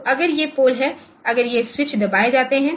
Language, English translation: Hindi, So, if these poles are pr if these switches are pressed